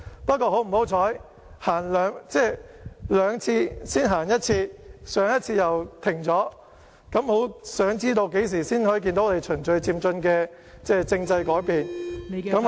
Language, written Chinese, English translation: Cantonese, 不過，很不幸，經過兩次討論才走前一步，上次又停滯不前，我很想知道何時才可以看到循序漸進的政制改變......, It is however very unfortunate that after we have moved a step forward through two discussions we remained stagnant last time . I really want to know when we can see changes to our constitutional system in an orderly and progressive manner